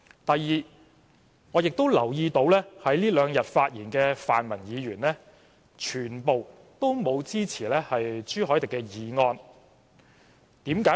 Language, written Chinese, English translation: Cantonese, 第二，我亦留意到，在這兩天發言的泛民議員全都不支持朱凱廸議員的議案。, Secondly I have also noted that all the pan - democratic Members who spoke in these two days do not support Mr CHU Hoi - dicks motion